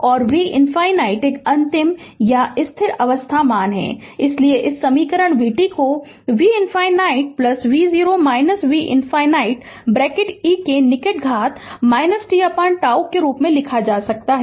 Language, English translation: Hindi, And v infinity final or steady state value right, so this equation v t can be written as v infinity plus v 0 minus v infinity bracket close e to the power minus t by tau right